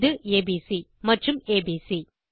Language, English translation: Tamil, This will be abc and abc